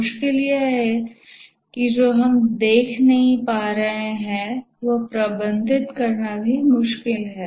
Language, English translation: Hindi, What is difficult, what is we are unable to see is also difficult to manage